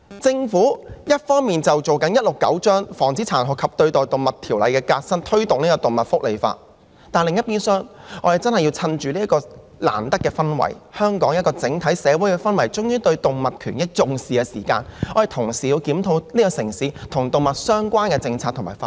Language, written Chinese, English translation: Cantonese, 政府一方面推行第169章《防止殘酷對待動物條例》的革新，以推動動物福利法，但另一邊廂，我們真的要藉着香港整體社會終於重視動物權益的氛圍，同時檢討這個城市與動物相關的政策及法例。, On the one hand the Government is introducing changes to the Prevention of Cruelty to Animals Ordinance Cap . 169 and on the other we really have to take advantage of this social environment of the entire Hong Kong society finally attaching importance to animal welfare to review the policies and laws related to animals in this city at the same time